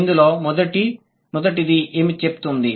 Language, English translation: Telugu, What does the first one say